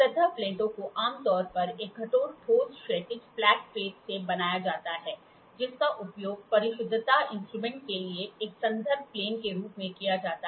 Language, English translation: Hindi, Surface plates are generally made out of hard is a hard solid horizontal flat plate, which is used as a reference plane for precision instrument